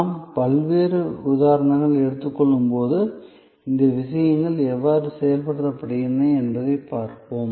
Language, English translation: Tamil, As we take different examples, we will see how these things are play out